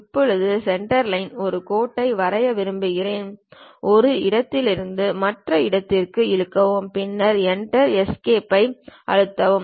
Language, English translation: Tamil, Now, I would like to draw a line, Centerline; draw from one location to other location, then press Enter, Escape